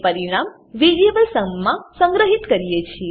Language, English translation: Gujarati, And store the result in variable sum